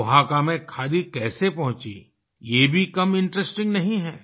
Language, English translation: Hindi, How khadi reached Oaxaca is no less interesting